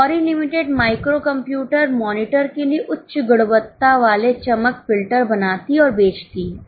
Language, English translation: Hindi, Gauri Limited makes and sales high quality glare filters for micro computer monitors